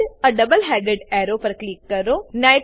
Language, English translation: Gujarati, Click on Add a double headed arrow